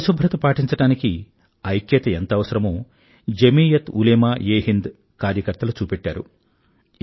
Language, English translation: Telugu, The volunteers of JamiatUlemaeHindset a fine, inspiring example of unity for cleanliness